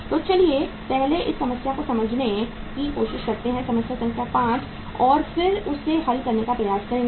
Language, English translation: Hindi, So let us uh first try to understand this problem, problem number 5 and then uh we will try to solve this